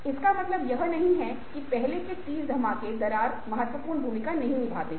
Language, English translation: Hindi, that doesnt mean that ah the earlier thirty blows didnt play significant role in creating the crack